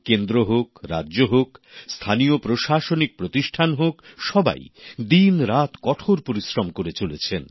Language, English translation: Bengali, From the centre, states, to local governance bodies, everybody is toiling around the clock